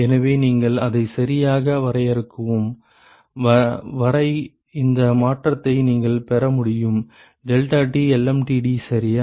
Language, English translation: Tamil, So, as long as you define it properly, you should be able to get this change deltaT lmtd ok